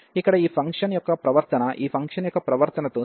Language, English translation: Telugu, So, the behavior of this function here will be the same as the behaviour of this function